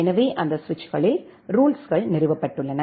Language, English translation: Tamil, So, the rules are installed in those switches